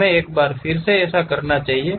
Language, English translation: Hindi, Let us do that once again